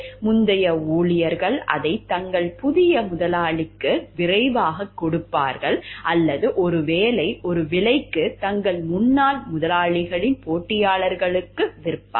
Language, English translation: Tamil, Previous employees would quickly give it away to their new employers or perhaps for a price, sell it to competitors of their former employers